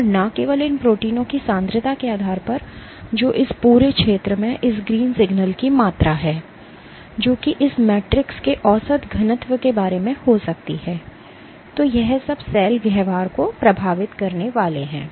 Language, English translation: Hindi, And not just this depending on the concentration of these proteins, which is the amount of this green signal in this whole area, that would be equate that can be equated to the average density of this matrix; so all of this are supposed to influence cell behavior